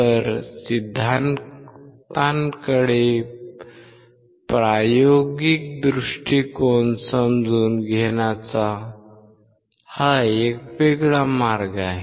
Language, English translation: Marathi, So, this is a different way of understanding the experimental approach to the theory